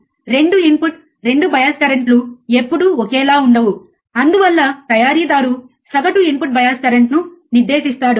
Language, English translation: Telugu, the 2 input 2 bias currents are never same, hence the manufacturer specifies the average input bias current, right